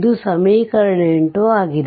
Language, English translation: Kannada, So, this is equation 5